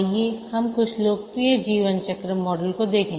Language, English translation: Hindi, Let's look at some popular lifecycle models